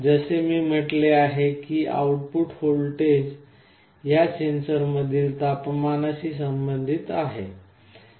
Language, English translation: Marathi, As I said the output voltage is proportional to the temperature in these sensors